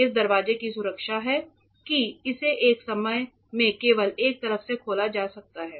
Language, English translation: Hindi, This door has a protection that it can only be opened from one side at a given time